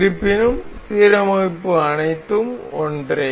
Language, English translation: Tamil, However, the alignment is all same